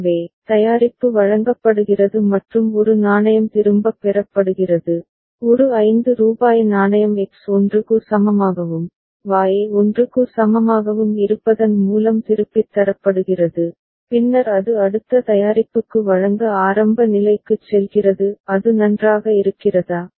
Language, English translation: Tamil, So, product is delivered and a coin is returned, a rupees 5 coin is returned by making X is equal to 1 and Y is equal to 1 and then it goes to the initial state to deliver the next product ok; is it fine